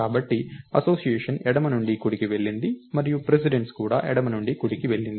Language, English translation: Telugu, So, the association went from left to right and the precedence also went from left to right